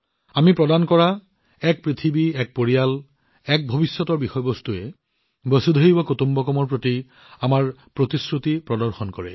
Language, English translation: Assamese, The theme that we have given "One Earth, One Family, One Future" shows our commitment to Vasudhaiva Kutumbakam